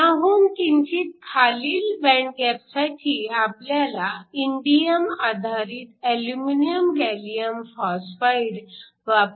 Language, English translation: Marathi, For a slightly lower band gap, you have indium based with aluminum gallium phosphide